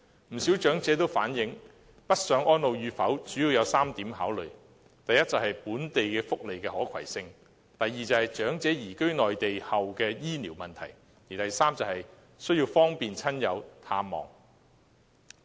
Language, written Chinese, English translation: Cantonese, 不少長者反映，北上安老與否，主要有3點考慮：第一，是本地福利的可攜性；第二，是長者移居內地後的醫療問題；第三，是要方便親友探望。, Many elderly persons have indicated three major factors they have in considering northbound elderly care . First portability of local welfare provision; second health care provision for elderly persons after relocating to the Mainland; and third availability of easy access for visiting friends and relatives